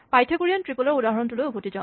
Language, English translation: Assamese, Let us go back to the Pythagorean triple example